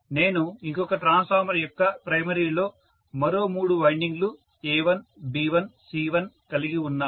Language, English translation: Telugu, What I mean is I have three windings; A, B, C, I have three more windings in the primary of other transformer A1 B1 C1